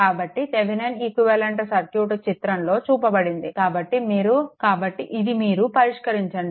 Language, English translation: Telugu, So, Thevenin equivalent shown in figure; so, this is you please solve it right